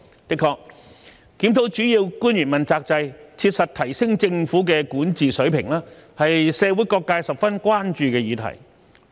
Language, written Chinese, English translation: Cantonese, 的確，檢討主要官員問責制，切實提升政府的治理水平，是社會各界十分關注的議題。, Indeed reviewing the accountability system for principal officials and duly enhancing the Governments governance level is a subject of concern among different sectors of society